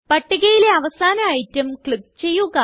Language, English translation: Malayalam, Click on the last item in the list